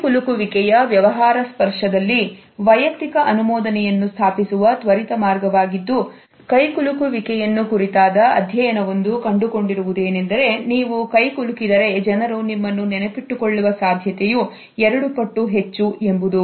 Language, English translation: Kannada, In business touch is the quickest way to establish personal approval, a study on handshakes found that people are twice as likely to remember you if you shake hands